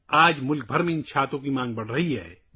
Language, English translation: Urdu, Today the demand for these umbrellas is rising across the country